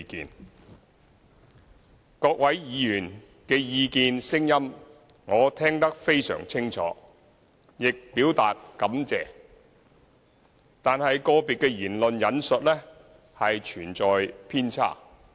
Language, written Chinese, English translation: Cantonese, 對於各位議員的意見和聲音，我聽得非常清楚，亦表達感謝，但個別議員的言論存在偏差。, Members views and voices are clear enough . While I express my gratitude I have to point out that some of their views are biased